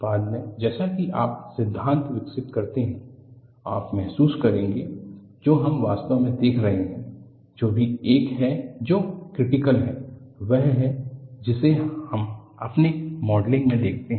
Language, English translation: Hindi, Later on as you develop the theory, you will realize, what we are really looking at is among these, whichever is the one, which is critical, is a one, which we look at in our modeling